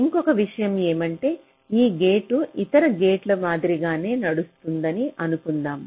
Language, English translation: Telugu, and just another thing: you just see that suppose this gate is driving similar to other gates